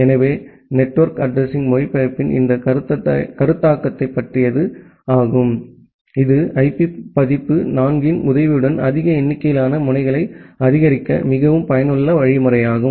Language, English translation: Tamil, So, that is all about this concept of network address translation which is actually a very useful mechanism to support large number of nodes with the help of IP version 4